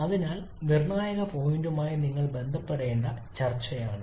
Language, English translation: Malayalam, So this is the discussion that you need to have related to the critical point from